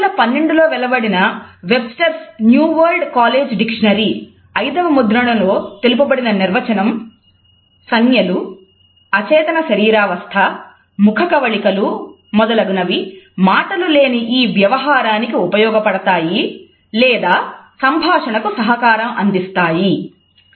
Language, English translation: Telugu, Webster’s New World College Dictionary in it is Fifth Edition, which came out in 2012 defines it as “gestures unconscious bodily movements facial expressions etcetera, which service nonverbal communication or as accompaniments to a speech”